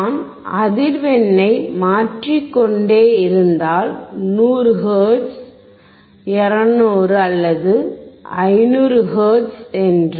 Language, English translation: Tamil, If I keep on changing the frequency, you see keep on 100 hertz; 200 or 500 hertz